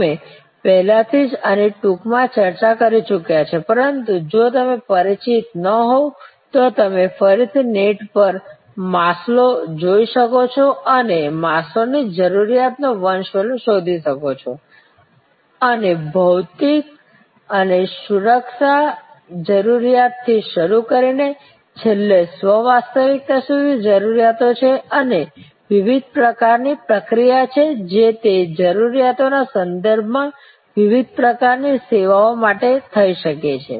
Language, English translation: Gujarati, We have already briefly discuss this earlier, but if you are again not familiar, you can again go back to the net and search for Maslow, Maslow’s hierarchy of needs and just quickly go through those several stages of needs starting from physical and security needs going up to self actualization and the different kind of triggers that can happen for different kinds of services with respect to those needs